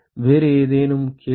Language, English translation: Tamil, Any other question